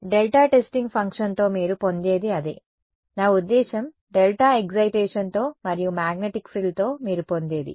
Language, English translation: Telugu, That is what you get with delta testing function, I mean with the delta excitation and with the magnetic frill what you get is